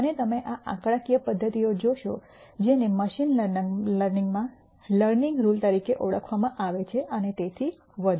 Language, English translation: Gujarati, And you will see these numerical methods as what is called as learning rule in machine learning and so on